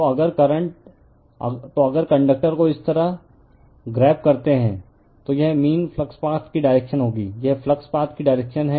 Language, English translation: Hindi, So, if you grabs the conductor like this, then this will be your the direction of the your mean flux path, this is the direction of the flux path right